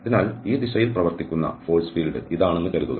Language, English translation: Malayalam, So, the force because suppose this is the force field acting in this direction